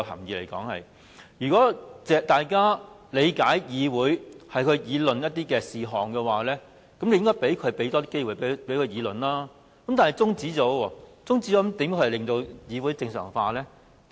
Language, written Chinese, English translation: Cantonese, 如果大家理解議會是要討論不同事項，便應該多給予機會大家辯論，但他卻提出中止待續議案，這樣又如何令議會正常化呢？, If we understand that this Council needs to discuss different matters we should be given more opportunities to participate in debates . But he now proposes an adjournment motion . How is it possible to normalize the Council proceedings then?